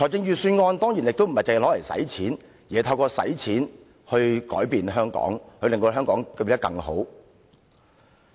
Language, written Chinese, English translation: Cantonese, 預算案亦不只是花錢，而是透過花錢來改變香港，令香港變得更好。, The Budget is not just about spending money but spending money to change Hong Kong and make Hong Kong better